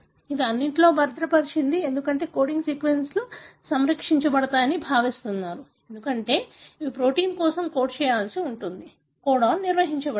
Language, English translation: Telugu, This is conserved in all, because coding sequences are expect to come conserved because they have to code for the protein, the codon has to be maintained